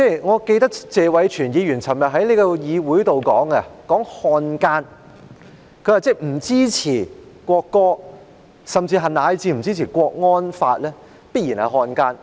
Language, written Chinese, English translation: Cantonese, 我記得謝偉銓議員昨天在議會上提到漢奸，他說不支持《國歌條例草案》，甚至是不支持國安法的，必然就是漢奸。, I recall that Mr Tony TSE mentioned traitors at the meeting yesterday . He said that people who do not support the National Anthem Bill and even the national security law must be traitors